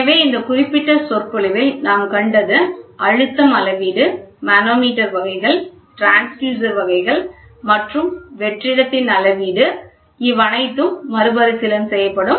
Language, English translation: Tamil, The content of this picture is going to be pressure measurement, type of manometers, different types of transducers, type of gauges and measurement of vacuum